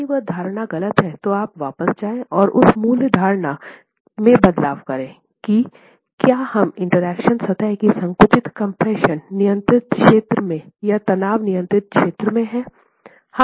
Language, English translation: Hindi, If that assumption is incorrect then you go back and make a change that basic assumption which is on whether we are in the compression control zone of the interaction surface or in the tension control zone of the interaction surface